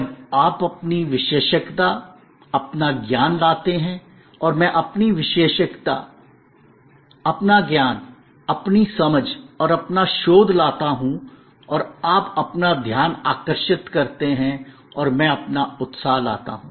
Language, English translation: Hindi, When you bring your expertise, your knowledge and I bring my expertise, my knowledge, my understanding and my research and you bring your attention and I bring my enthusiasm